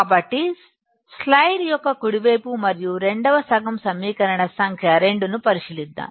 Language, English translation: Telugu, So, let us consider the right side of the slide and second half that is the equation number 2